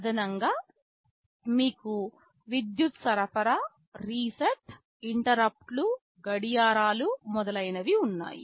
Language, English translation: Telugu, In addition you have power supply, reset, interrupts, clocks etc